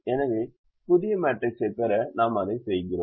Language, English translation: Tamil, so we do that to get the new matrix